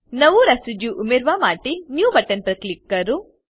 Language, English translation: Gujarati, To add a new residue, click on New button